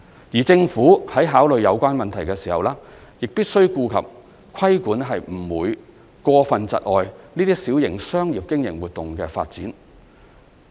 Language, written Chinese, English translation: Cantonese, 而政府在考慮有關問題時，亦必須顧及規管不會過分窒礙這些小型商業經營活動的發展。, When considering the relevant issues the Government must also take into account that its regulatory control should not unduly hinder the development of these small - sized business operations